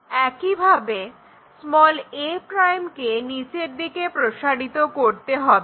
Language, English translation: Bengali, Similarly, project a' all the way down